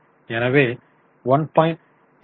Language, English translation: Tamil, So, we are getting 1